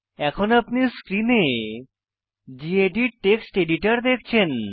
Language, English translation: Bengali, So what you see right now on screen is the gedit Text Editor